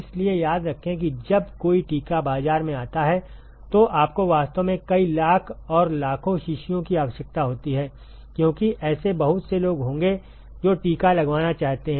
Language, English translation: Hindi, So, remember that when you when an a vaccine comes into market you really need like several lakhs and lakhs of vials, because there will be so many people who would want to get vaccinated